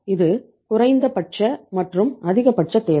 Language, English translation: Tamil, This is the minimum and maximum requirement